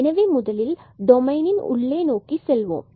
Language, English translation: Tamil, So, let us move to inside the domain first